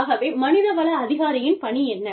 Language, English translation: Tamil, So, what is the work of the human resource professional